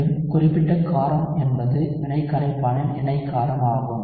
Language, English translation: Tamil, Again, specific base is the conjugate base of the reaction solvent